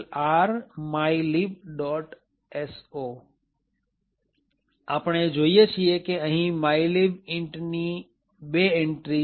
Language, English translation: Gujarati, which returns the value of mylib int